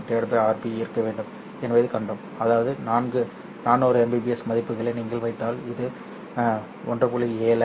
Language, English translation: Tamil, 7 divided by RB, which is if you put in the values of 400 mbps, this turns out to be 1